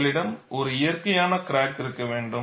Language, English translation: Tamil, You have to develop a natural crack